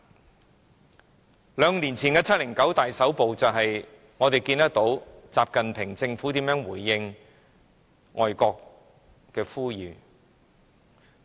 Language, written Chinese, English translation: Cantonese, 從兩年前的"七零九大抓捕"，我們便看到習近平政府如何回應外國的呼籲。, From the 709 crackdown two years ago we can see how the government of XI Jinping responded to the appeal made by foreign countries